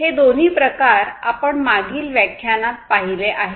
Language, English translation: Marathi, We have seen both of these types in the previous lectures